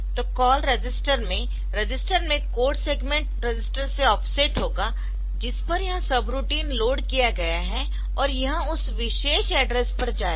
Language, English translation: Hindi, So, this call register so call register so register will have the offset from the from the code segment register at which this sub routine is loaded and it will be going to that particular address